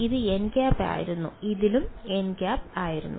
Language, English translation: Malayalam, This was n hat and in this also this was n hat